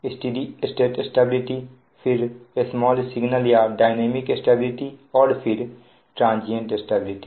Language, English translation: Hindi, then three types of stability, then small signal or dynamic stability and then transient stability